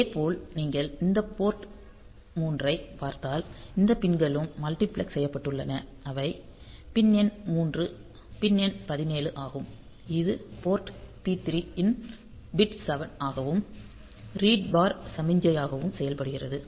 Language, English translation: Tamil, Similarly if you look into this port 3 you will find that these pins are also multiplexed that is pin number 3 the pin number 17 it is it acts as the bit 7 of port P 3 as well as the read bar signal